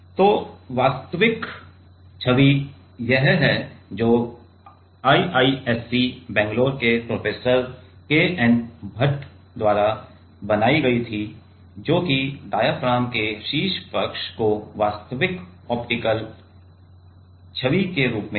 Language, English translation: Hindi, So, this is real image which was made by Professor K N Bhat from IISc Bangalore which is the real optical image of the top side of the diaphragm